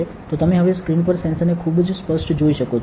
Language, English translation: Gujarati, So, you can see the sensor now on the screen very clearly, correct